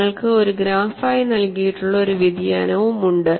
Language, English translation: Malayalam, And you also have a variation provided as a graph